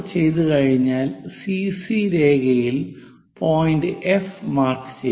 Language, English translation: Malayalam, Once it is done mark a point F on CC prime